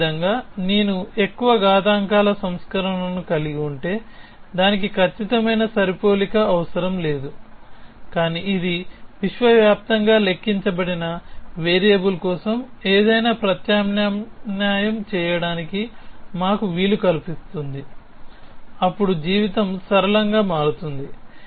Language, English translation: Telugu, Somehow if I could have a version of more exponents, which did not require an exact match, but which allowed us to substitute anything for a universally quantified variable, then life would become simpler